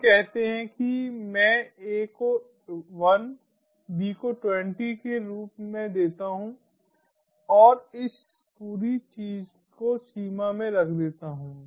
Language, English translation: Hindi, lets say i give a as one, b astwenty, and put this whole thing within range